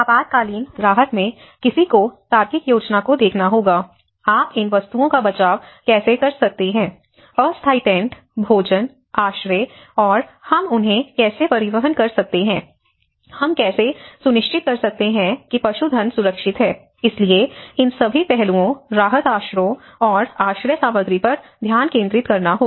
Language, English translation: Hindi, In the emergency relief, one has to look at the logistic planning, how you can procure these materials, the temporary tents, the food, the shelter and how we can transport them, how we can make sure that the livestock is protected you know, so all these aspects, relief shelters and sheltering materials